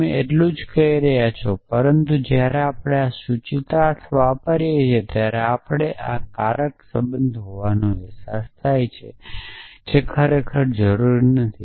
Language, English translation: Gujarati, That is all you are saying essentially, but when we read this an implication we have the sense of being a causal relationship, which is not really the case essentially